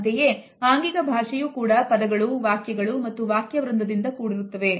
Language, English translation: Kannada, Body language is also made up of similarly words, sentences and paragraphs